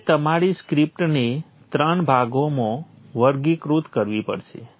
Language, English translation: Gujarati, You have to classify your script into three parts